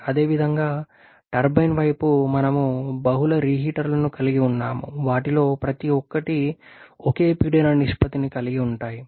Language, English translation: Telugu, Similarly on the turbine side we are having multiple reheaters each of them having the same pressure ratio